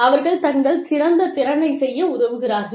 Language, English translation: Tamil, They are helped to perform, to their best potential